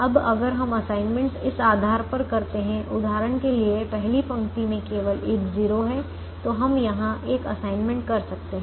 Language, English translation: Hindi, now if we made assignments based on, for example: the first row has only one zero, so we could make an assignment here